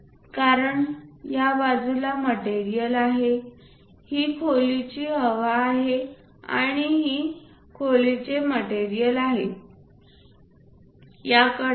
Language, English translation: Marathi, Because there is a material on this side this is the room air and this is the room material, these are the edges